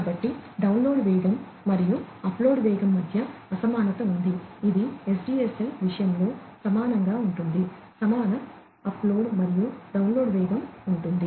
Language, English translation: Telugu, So, there is an asymmetry between the download speed, and the upload speed, which is equal in the case of SDSL, equal upload and downloads speeds